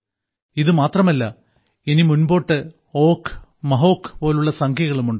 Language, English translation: Malayalam, Not only this, there are numbers like Ogh and Mahog even after this